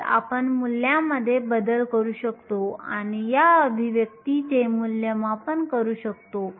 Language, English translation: Marathi, So, we can substitute in the values and evaluate this expression